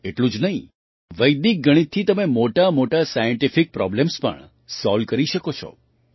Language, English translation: Gujarati, Not only this, you can also solve big scientific problems with Vedic mathematics